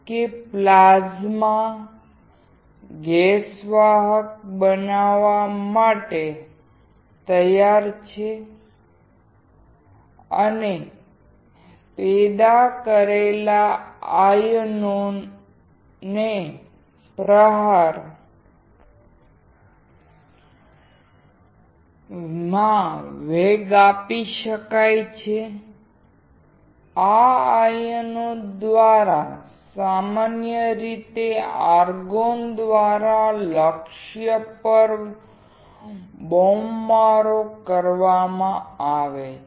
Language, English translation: Gujarati, That the plasma is ready to make the gas conductive and generated ions can then be accelerated to the strike; the target is bombarded by these ions usually argon